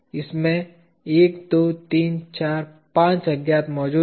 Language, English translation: Hindi, 1, 2, 3, 4, 5 unknowns present in this